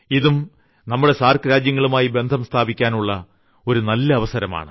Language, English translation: Malayalam, This also is a good opportunity to make relations with the SAARC countries